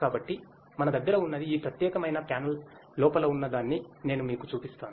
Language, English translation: Telugu, So, what we have I will just show you what is inside this particular panel